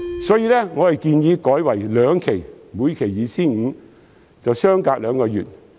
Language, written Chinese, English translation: Cantonese, 所以，我建議改為兩期，每期 2,500 元及相隔兩個月。, Therefore I propose to disburse the vouchers in two instalments of 2,500 each with a gap of two months in between